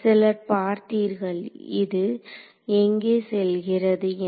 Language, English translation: Tamil, So, some of you see where this is going